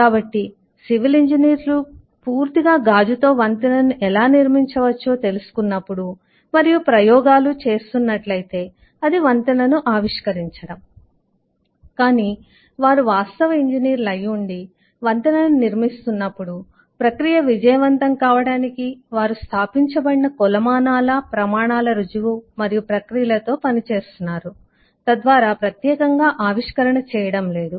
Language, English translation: Telugu, so when civil engineer sit down and find out how a bridge can be constructed completely with glass and experimenting or the innovating a bridge, but when they are actual engineers and constructing a bridge, then they are working with established metrics, standards, proof and processes